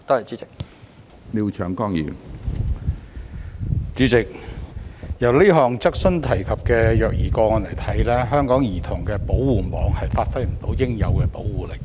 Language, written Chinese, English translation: Cantonese, 主席，從這項質詢提及的虐兒個案看來，香港的兒童保護網未能發揮應有的保護力。, President judging from the child abuse case mentioned in this question Hong Kongs child protection net has failed to give its due protection